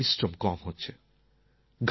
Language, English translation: Bengali, Physical labour is getting reduced